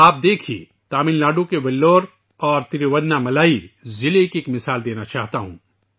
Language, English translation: Urdu, Take a look at Vellore and Thiruvannamalai districts of Tamilnadu, whose example I wish to cite